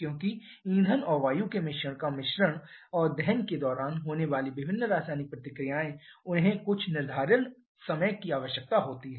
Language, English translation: Hindi, Because the mixing of fuel and air mixture and also the different chemical reactions that takes place during combustion they require some amount of finite time